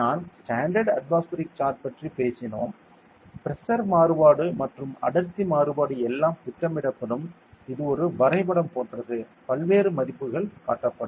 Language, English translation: Tamil, We talked about the standard atmospheric chart there the pressure variation as well as density variation everything will be plotted it is like a graph like this; various values will be shown